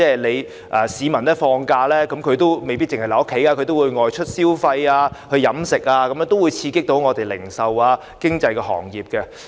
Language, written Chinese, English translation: Cantonese, 其實，市民放假時未必會留在家，他們選擇外出消費和飲食，可以刺激零售及經濟行業。, In fact members of the public may not stay home during holidays and they may choose to spend money and eat outside which can invigorate the retail and economic sectors